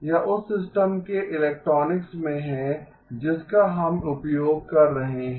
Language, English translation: Hindi, It is in the electronics of the system that we are using